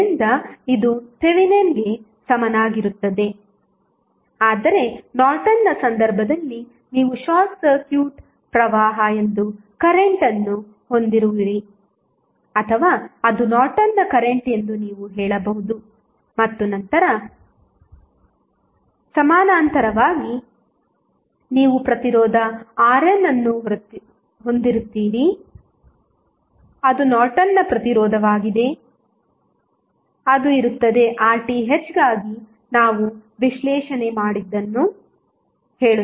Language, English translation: Kannada, So, this would be Thevenin's equivalent, while in case of Norton's you will have current that is short circuit current or you can say it is Norton's current and then in parallel you will have resistance R n that is Norton's resistance, which will be, which would be found similar to what we did analysis for Rth